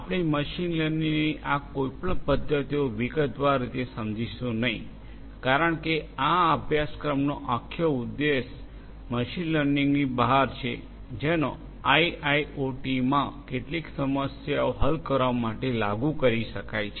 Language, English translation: Gujarati, We are not going to go through any of these methods of machine learning in detail because the whole purpose of this course is just to expose you to what is out there with machine learning which can be applied for solving some of the problems in IIoT